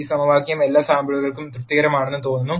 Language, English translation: Malayalam, This equation seems to be satis ed for all samples